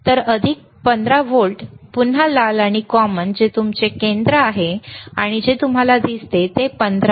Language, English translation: Marathi, So, plus 15 volts, again red and the common which is your centre the and what you see 15